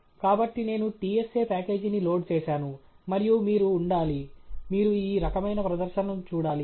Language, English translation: Telugu, So, I have loaded the TSA package, and you should be… you should see this kind of a display